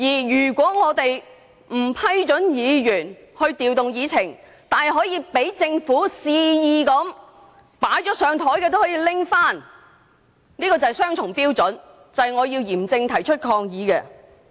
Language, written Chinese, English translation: Cantonese, 如果不批准議員調動議程，但容許政府肆意調動即將處理的項目，這是雙重標準，我要嚴正提出抗議。, If the President does not allow a Member to rearrange the order of agenda items but allows the Government to do so at will this is a double standard . I have to raise a solemn protest